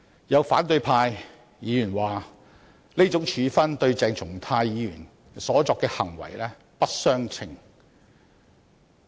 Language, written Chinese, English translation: Cantonese, 有反對派議員指出，這種處分跟鄭松泰議員所作的行為不相稱。, A Member of the opposition camp has pointed out that this punishment is not commensurate with the conduct of Dr CHENG Chung - tai